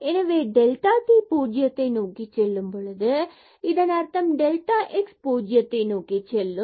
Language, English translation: Tamil, So, as delta t goes to 0 meaning delta x goes to 0 and delta y goes to 0